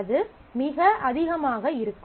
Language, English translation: Tamil, That would be too much, right